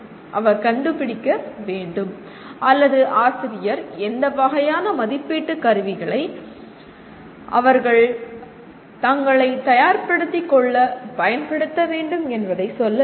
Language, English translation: Tamil, So what happens, he has to find out or the teacher has to tell him what kind of assessment tools towards which they have to prepare themselves